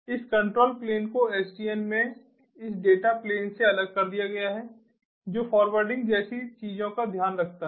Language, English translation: Hindi, this control plane has been separated in sdn from this data plane which takes care of things like forwarding